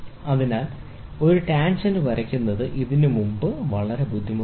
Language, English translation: Malayalam, So, drawing a tangent is very difficult for this